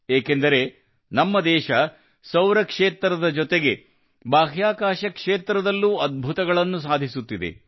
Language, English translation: Kannada, That is because our country is doing wonders in the solar sector as well as the space sector